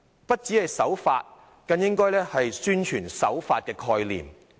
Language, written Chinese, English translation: Cantonese, 不僅是守法，更應該宣傳守法的概念。, Not only should we be law - abiding we should even propagate the concept of abiding by the law